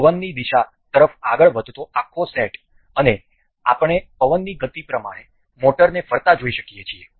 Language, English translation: Gujarati, The whole set up moving along the direction of wind and also we can see the motor rotating as per the speed of the wind that will be coming